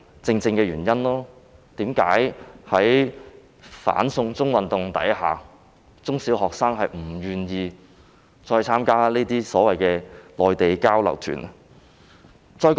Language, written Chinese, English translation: Cantonese, 這正是在"反送中"運動下，中小學生不願意參加內地交流團的原因。, This is precisely why under the anti - extradition to China movement primary and secondary school students are reluctant to participate in the exchange tours to the Mainland